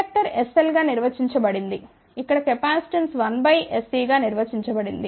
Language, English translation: Telugu, Inductor is defined as s L, where as a capacitance is defined as 1 by s C